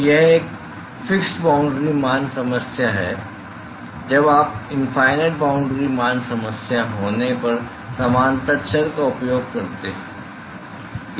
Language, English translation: Hindi, So, it is a fixed boundary value problem you use similarity variable when you are having infinite boundary value problem